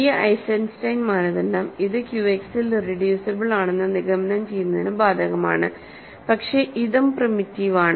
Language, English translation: Malayalam, So, this Eisenstein criterion applies to this to conclude this is irreducible in Q X, but this is also primitive, so this is irreducible is Z X